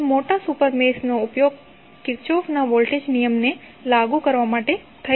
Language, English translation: Gujarati, Now, larger super mesh can be used to apply Kirchhoff Voltage Law